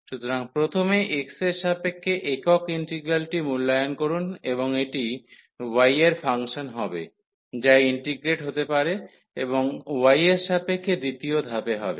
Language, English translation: Bengali, So, first evaluate the singer integral with respect to x and this will be function of y, which can be integrated and second the step with respect to y